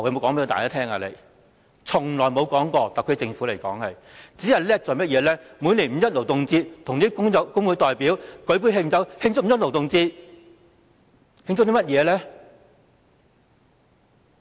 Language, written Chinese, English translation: Cantonese, 特區政府從來沒有說過，只懂得在每年五一勞動節與工會代表舉杯慶祝，慶祝甚麼呢？, The Special Administrative Region SAR Government has never said anything about it . It will only propose a toast with representatives of labour unions in celebration of the Labour Day on 1 May each year . What do they celebrate?